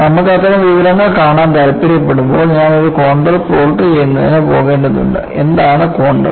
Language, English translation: Malayalam, And when you want to look at that kind of an information,I need do go for plotting a contour, and what is the contour